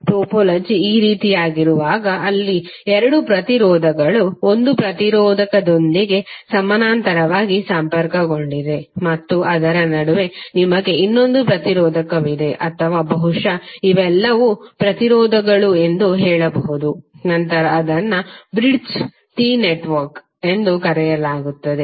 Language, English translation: Kannada, When the topology is like this where two resistances are connected parallelly with one resistor and in between you have another resistor or may be you can say all of them are impedances then it is called Bridged T network